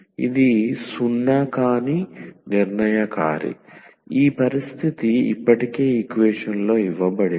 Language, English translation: Telugu, So, this is the determinant which is non zero that condition is given already in the equation